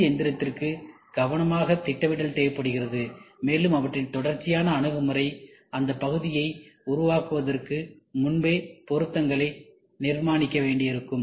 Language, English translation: Tamil, CNC machining requires careful planning, and their sequential approach that may also require construction of fixtures before the part itself can be made